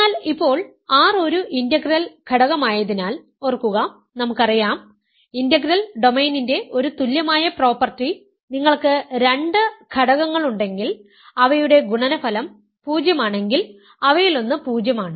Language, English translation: Malayalam, Remember, R is an integral domain we know that one of the equivalent properties of an integral domain is that if you have two ring elements whose product is 0 one of them is 0